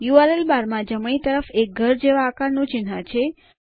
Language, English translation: Gujarati, To the right of the URL bar, is an icon shaped like a house